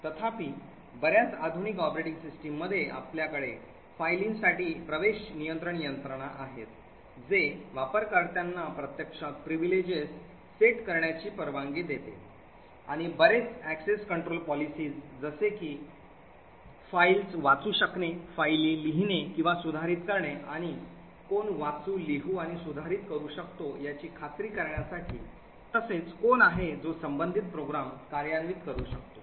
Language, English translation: Marathi, However, in most modern operating systems we have access control mechanisms for files which would permit users to actually set privileges and various access control policies like read, write and execute to ensure who can read files, who can write or modify their files and who can execute corresponding programmes